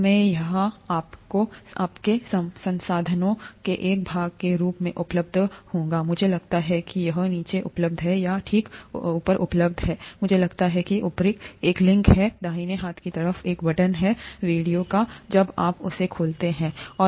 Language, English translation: Hindi, I, this would be available as a part of your resources, I think it is available right below or right above I think there, there is a link, a button on the right hand side of the video, when you play them